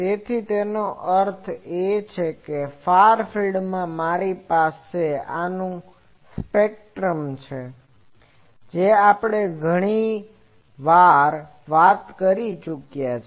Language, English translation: Gujarati, So that means, in the far field I have a spectrum of these that we have talked many times